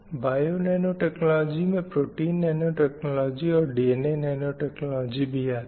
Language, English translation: Hindi, And DNA nanotechnology or protein nanotechnology, this comes under bio naecology